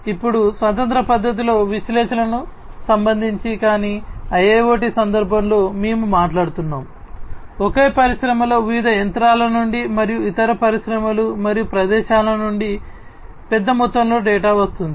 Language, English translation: Telugu, Now, with respect to this analytics again, analytics in a a standalone fashion have been there, but in the context of a IIoT we are talking about a large volume of data coming from different machines in the same industry and different other industries and different locations and so on